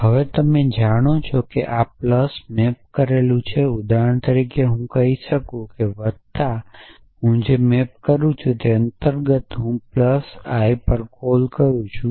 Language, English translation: Gujarati, Now, you know that this plus for example, is mapped so for example, I might say something like this that plus under the interpretation I maps to plus which I would have call plus I